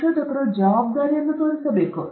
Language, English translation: Kannada, A researcher should show responsibility